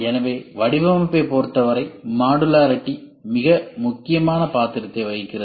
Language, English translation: Tamil, So, modularity plays a very very important role as far as designing is concerned